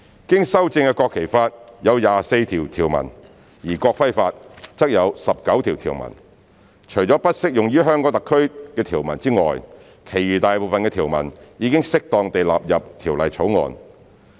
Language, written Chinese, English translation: Cantonese, 經修正的《國旗法》有24項條文，而《國徽法》則有19項條文。除了不適用於香港特區的條文外，其餘大部分的條文已適當地納入《條例草案》。, In the amended National Flag Law and the amended National Emblem Law there are 24 and 19 articles respectively the majority of which have been suitably incorporated into the Bill except for the provisions that are not applicable to HKSAR